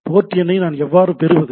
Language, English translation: Tamil, How do I get the port number